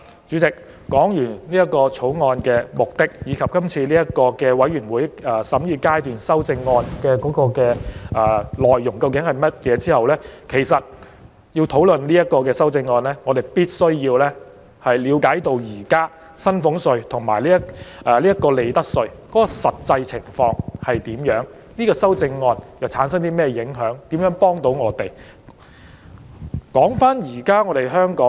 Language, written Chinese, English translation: Cantonese, 主席，我已就《條例草案》的目的及全體委員會審議階段修正案的內容作出簡單提述，接下來會討論修正案，但在我開始討論前，有必要讓大家先了解現時薪俸稅及利得稅的實際情況，以及修正案對我們所產生的影響及對市民有何幫助。, Having made a brief reference to the aim of the Bill and the contents of the Committee stage amendments CSAs Chairman I will next discuss the amendments but before proceeding to discuss them it is necessary for everyone to understand the actual situation of salaries tax and profits tax at present and how the amendments will affect us and how they will help the public